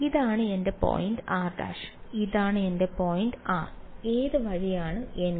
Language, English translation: Malayalam, This is my point r prime this is my point r which way is n hat